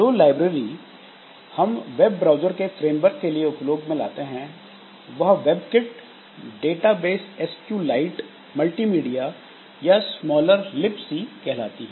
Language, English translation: Hindi, Libraries that we include are the frameworks for web browser, that is WebKit, database, SQ, SQ, SQ, Lite, Multimedia, Smaller Lips